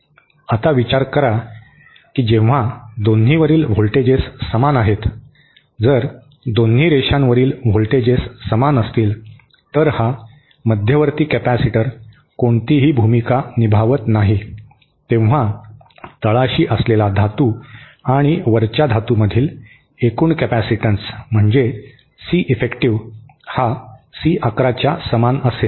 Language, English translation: Marathi, Now, consider that when the voltages on both are the same, if the voltages on both the lines are same, then this central capacitor does not play any role, so the total capacitance between the top metal on the bottom metal is simply Ceffective is equal to C 11